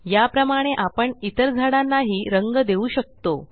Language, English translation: Marathi, We can color the other trees in the same way